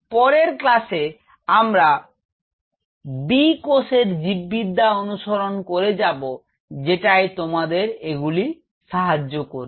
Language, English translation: Bengali, In the next class we will follow further with the biology of B cells which you help you because based on this